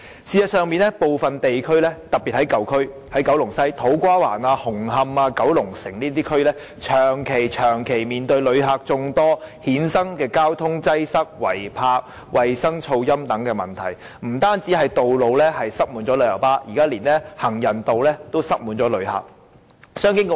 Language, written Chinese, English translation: Cantonese, 事實上，部分地區，特別是舊區，例如九龍西的土瓜灣、紅磡、九龍城等地區，正長期面對由旅客衍生的眾多問題，包括交通擠塞、違泊、衞生和噪音等問題，不單道路上擠滿旅遊巴士，現在連行人道也擠滿了旅客。, In fact certain districts old districts in particular such as To Kwa Wan Hung Hom and Kowloon City and so on have been confronted with numerous problems arising from visitors for a prolonged period . These problems include traffic congestion illegal parking hygiene problems and noise and so on . At present not only roads are jammed by tour coaches pavements are also crowded with visitors